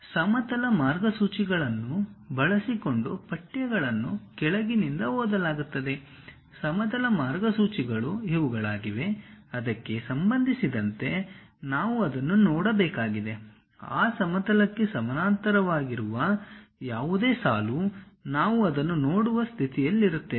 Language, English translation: Kannada, The texts is read from the bottom using the horizontal guidelines; the horizontal guidelines are these one, with respect to that we have to see that; any line parallel to that horizontal, we will be in a position to see that